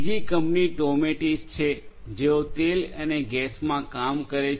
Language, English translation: Gujarati, Another company Toumetis, they are in the oil and gas space